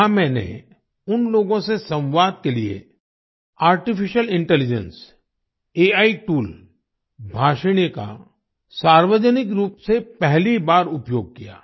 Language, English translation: Hindi, There I publicly used the Artificial Intelligence AI tool Bhashini for the first time to communicate with them